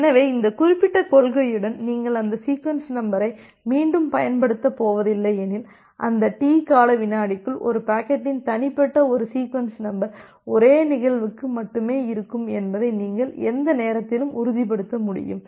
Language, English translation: Tamil, So, with this particular principle you can say that if you are not going to reuse that sequence number, within that T second of duration, you will be able to ensure that at any time, there would be only a single instance of a packet with a unique sequence number